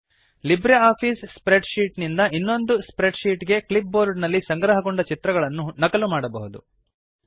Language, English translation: Kannada, One can copy images stored on the clipboard, from one LibreOffice spreadsheet to another